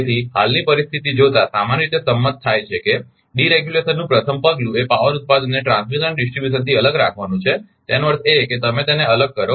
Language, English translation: Gujarati, So, given the present situation it is generally agreed that the first step in deregulation will be to separate the generation of power from the transmission and distribution; that means, separate you separate it